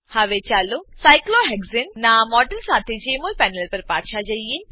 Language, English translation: Gujarati, Now Let us go back to the Jmol panel with the model of cyclohexane